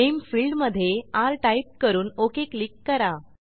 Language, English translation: Marathi, In the name field, type r and click on OK